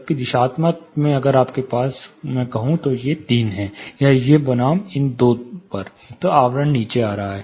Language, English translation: Hindi, Whereas, directional that is you know if you have these three on, or these versus these two on the envelopment was coming down